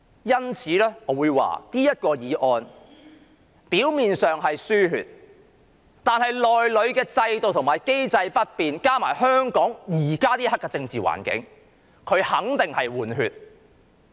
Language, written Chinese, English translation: Cantonese, 因此，我會說這項議案表面上是"輸血"，但如果制度和機制不變，加上香港現時的政治環境，這肯定是"換血"。, Hence I would say that though the motion is about importation of new blood on the surface but if the system and mechanism remain unchanged and given the present political environment in Hong Kong it will definitely be a replacement exercise